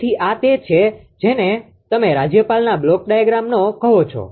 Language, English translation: Gujarati, So, this is your what you call the block diagram of the governor